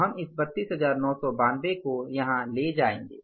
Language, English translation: Hindi, 32,9002 we will take here